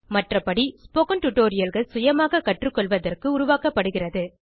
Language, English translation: Tamil, In other words, spoken tutorials need to be created for self learning